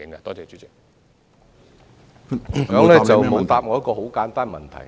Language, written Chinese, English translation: Cantonese, 局長沒有答覆我一個簡單的問題。, The Secretary has not answered a straightforward question from me